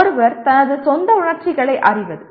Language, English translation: Tamil, One is knowing one’s own emotions